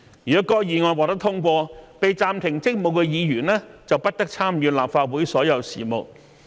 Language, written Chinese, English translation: Cantonese, 如該議案獲得通過，被暫停職務的議員便不得參與立法會所有事務。, If the motion is carried the Member suspended would be prohibited from participating in all business of the Council